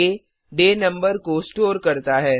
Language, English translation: Hindi, day stores the day number